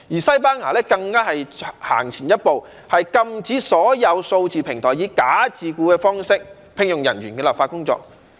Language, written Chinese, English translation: Cantonese, 西班牙更走前一步，展開了禁止所有數字平台以"假自僱"的方式聘用人員的立法工作。, In the case of Spain it has even taken a further step of commencing legislative work to prohibit all digital platforms from employing people under the mode of bogus self - employment